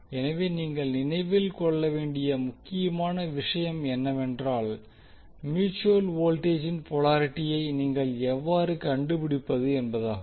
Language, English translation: Tamil, So the important thing which you have to remember is that how you will find out the polarity of mutual voltage